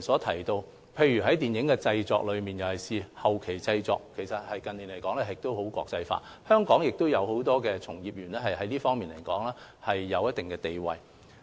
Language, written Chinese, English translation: Cantonese, 近年電影製作，特別是後期製作趨向國際化，很多本地從業員在這方面也有一定地位。, In recent years film production especially post - production tends to become more international and many local practitioners have certain status in the area